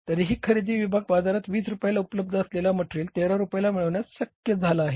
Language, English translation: Marathi, Still the purchase department has been able to manage a material which is available at 20 rupees in the market for 13 rupees